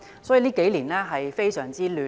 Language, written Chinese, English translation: Cantonese, 這數年可謂非常混亂。, These couple of years can be described as utterly chaotic